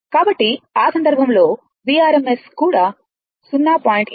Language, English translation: Telugu, So, in that case, V rms also will be your 0